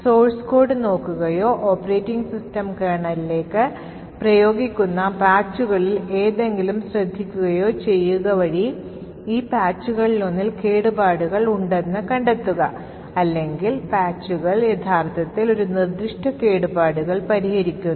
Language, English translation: Malayalam, The way he do to this is by looking at the source code or by noticing something in the patches that get applied to the operating system kernel and find out that there is a vulnerability in one of these patches or the patches actually fix a specific vulnerability